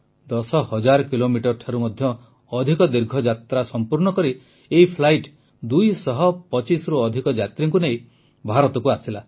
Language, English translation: Odia, Travelling more than ten thousand kilometres, this flight ferried more than two hundred and fifty passengers to India